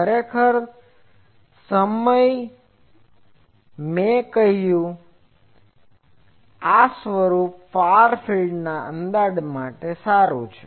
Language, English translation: Gujarati, Actually that time I said that this form is good for far field approximation